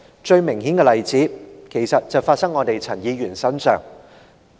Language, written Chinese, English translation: Cantonese, 最明顯的例子，其實就發生在我們的陳議員身上。, What had happened to our Honourable colleague Mr CHAN Chi - chuen can serve as an evident example